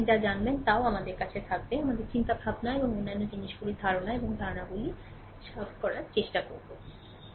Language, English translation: Bengali, Such that you will have also you will have you know, our thoughts and other things ideas and concepts will try to clear, right